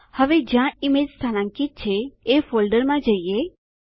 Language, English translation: Gujarati, Now lets go to the folder where the image is located